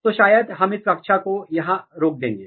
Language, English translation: Hindi, So, maybe we will stop this class here